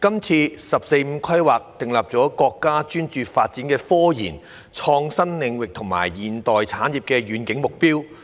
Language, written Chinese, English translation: Cantonese, "十四五"規劃訂立了國家專注發展科研、創新領域和現代產業的遠景目標。, The 14th Five - Year Plan specifies the countrys long - range objectives of focusing its development on scientific research innovation fields and a modern industrial system